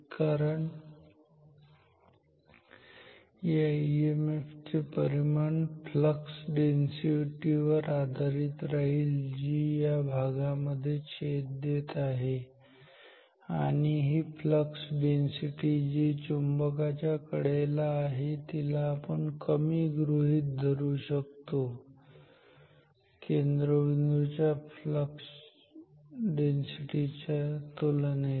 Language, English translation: Marathi, Because the magnitude of the EMF will depend on the flux density which is cutting through that region; and the flux density we can assume here towards the boundary of the magnet to be low compared to the flux density near the center